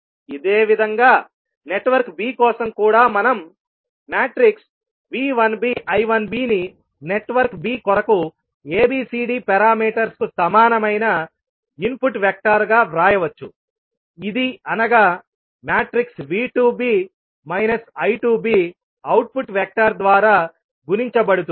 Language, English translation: Telugu, Similarly, for network b also we can write V 1b I 1b as an input vector equal to ABCD parameters for network b multiplied by vector output vector of V 2b and minus I 2b